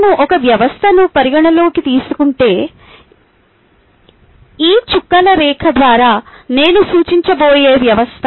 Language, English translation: Telugu, if we consider a system a system i am going to represent by this dotted line here in reality it could be anything